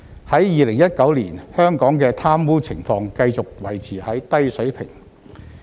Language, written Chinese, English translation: Cantonese, 在2019年，香港的貪污情況繼續維持在低水平。, In 2019 Hong Kong continued to have a low level of corruption